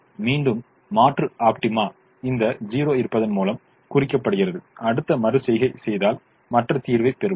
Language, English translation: Tamil, again, alternate optima is indicated by the presence of this zero and if we do the next iteration we will get the other solution